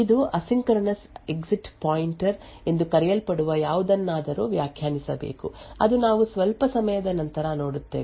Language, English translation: Kannada, It should also define something known as asynchronous exit pointer which we will actually see a bit later